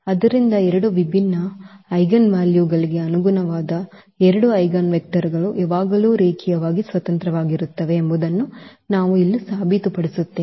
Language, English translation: Kannada, So, what we will prove here that two eigenvectors corresponding to two distinct eigenvalues are always linearly independent